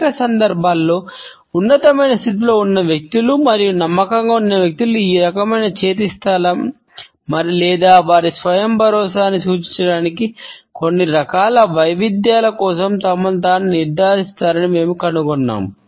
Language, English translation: Telugu, In many situations we find that people who are at a superior position and people who are confident ensure of themselves off for this type of a hand position or some type of a variation to signal their self assurance